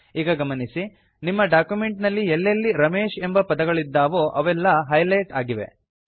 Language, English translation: Kannada, You see that all the places where Ramesh is written in our document, get highlighted